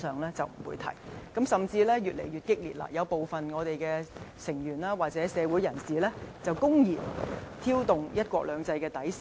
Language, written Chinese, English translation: Cantonese, 現時，甚至出現了越來越激烈的情況，部分議員或社會人士公然挑動"一國兩制"底線。, Now the situation becomes more extreme in which some legislators or members of the public have blatantly challenged the bottom line of one country two systems